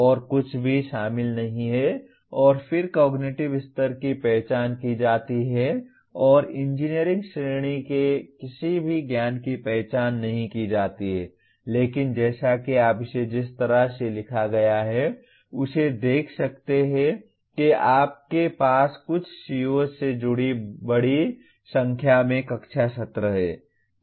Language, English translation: Hindi, Nothing else is included and then cognitive level is identified and none of the engineering category knowledge are identified but as you can see the way it is written you have large number of class sessions associated with some of the COs